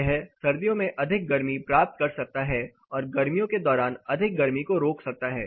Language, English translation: Hindi, It can gain more heat in winter and it can resist more heat during summer